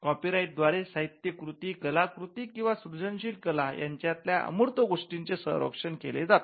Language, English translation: Marathi, The copyright regime protects the intangible right in the literary work or artistic work or creative work